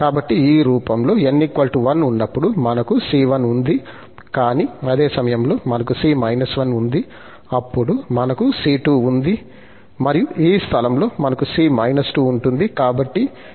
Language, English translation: Telugu, So, in this form, when n is 1, we have c1, but at the same time, we have here c minus 1, then we have c2, then is this place, we have c minus 2